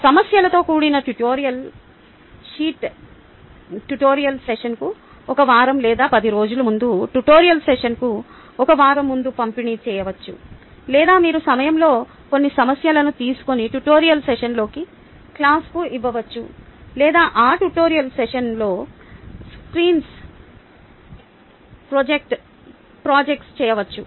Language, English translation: Telugu, the tutorial sheet consisting of problems can be distributed maybe a week or ten days before the tutorial session, a week before the tutorial session, or you could take a few problems at a time and, ah, give that to the class in the tutorial session, or project that on the screen during the tutorial session